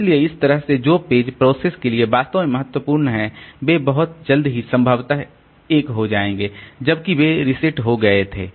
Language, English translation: Hindi, So, that way the pages which are really important for the process they will possibly become one within a very short while after they have been reset